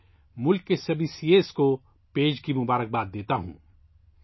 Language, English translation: Urdu, I congratulate all the CAs of the country in advance